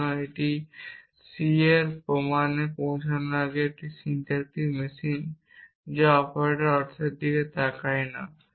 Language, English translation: Bengali, So, this is a syntactic machinery of of arriving at proof of c which does not look at the meaning of the operators